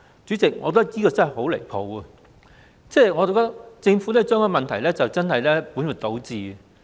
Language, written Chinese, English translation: Cantonese, 主席，我覺得這真的很離譜，政府把問題本末倒置。, President I think this is outrageous . The Government is putting the cart before the horse